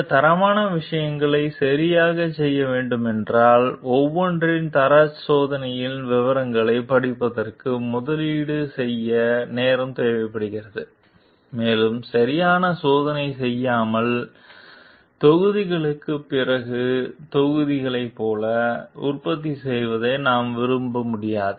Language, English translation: Tamil, And if these quality things needs to be done properly, then it requires time to be invested for going through the details of quality checks of each and we cannot like go on producing like batches after batches without doing a proper testing of it